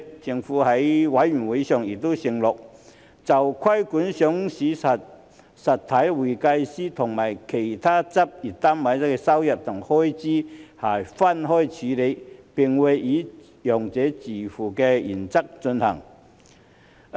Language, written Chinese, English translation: Cantonese, 政府在法案委員會上亦承諾，就規管上市實體會計師和其他執業單位的收入和開支會分開處理，並會以"用者自付"原則進行。, The Government also undertook in the Bills Committee that the income and expenditure for the regulatory work in respect of accountants of listed entities and other practice units would be handled separately and the user pays principle would be upheld